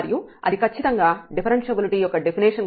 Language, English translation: Telugu, And that is precisely the definition of the differentiability